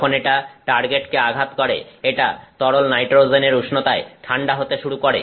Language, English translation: Bengali, Once, it hits the target it is going to cool to liquid nitrogen temperature